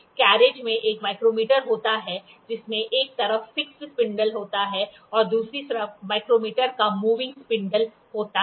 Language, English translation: Hindi, The carriage has a micrometer with fixed spindle on one side and a moving spindle of micrometer on the other side